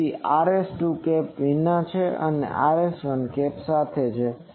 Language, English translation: Gujarati, So, Rs2 is without the cap Rs2 is without cap and Rs1 is with cap no